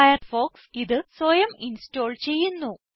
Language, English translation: Malayalam, Firefox installs this Persona automatically